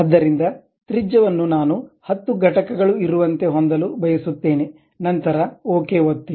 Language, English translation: Kannada, So, radius I would like to have something like 10 units, then click ok